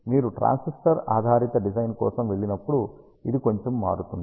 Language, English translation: Telugu, It is slightly deviates when you go for transistor base design